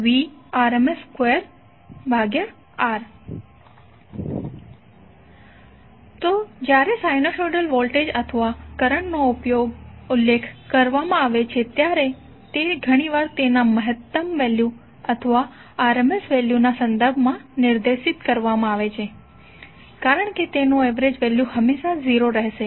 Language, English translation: Gujarati, So when the sinusoidal voltage or current is specified it is often specified in terms of its maximum value or the rms value because its average value will always be 0